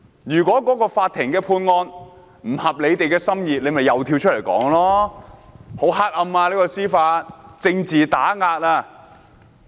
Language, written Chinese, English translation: Cantonese, 如果法院的判決不合他們心意，他們又會跳出來說司法黑暗，政治打壓。, If the judgment is not to their liking they will again jump out and call it judicial injustice and political suppression